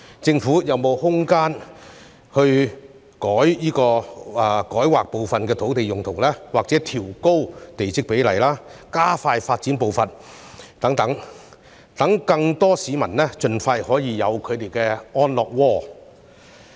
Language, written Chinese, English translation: Cantonese, 政府有沒有空間透過改劃部分土地用途、調高地積比率或加快發展步伐等，讓更多市民盡快擁有他們的安樂窩呢？, Is there room for the Government to modify the land use of part of the site increase the plot ratio or accelerate the pace of development so that more people can have a decent place to live as soon as possible?